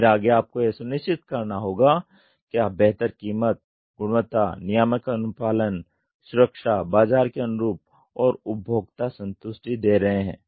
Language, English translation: Hindi, Then next is going to be assure the best in cost, quality, reliability, regulatory compliance, safety, time to market and customer satisfaction